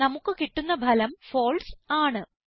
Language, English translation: Malayalam, The result we get is FALSE